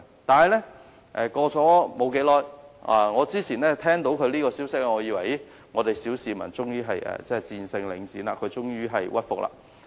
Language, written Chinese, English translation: Cantonese, 當我聽到這個消息時，我還以為小市民終於戰勝領展，終於令領展屈服。, When I heard the news I thought the public had eventually won Link REIT over and Link REIT had finally compromised